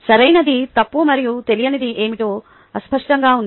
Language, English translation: Telugu, that is right, wrong and the unknown is what the person is able to do